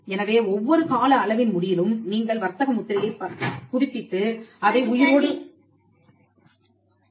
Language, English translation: Tamil, So, at every end of every term, you can renew their trademark and keep it alive